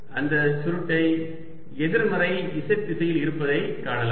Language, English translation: Tamil, that curl is in the negative z direction